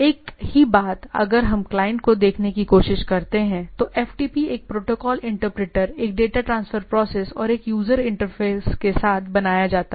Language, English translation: Hindi, So, the same thing if we try to look at that the client FTP is build with a protocol interpreter, a data transfer process and a user interface